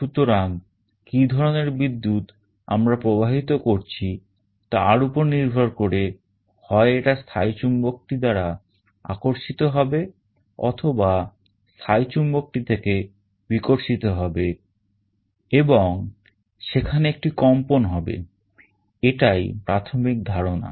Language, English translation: Bengali, So, it will either be attracted towards the permanent magnet or it will be repelled from the permanent magnet depending on the kind of current we are passing, and there will be a vibration this is the basic idea